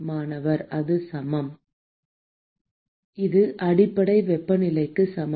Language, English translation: Tamil, That is equal to the base temperature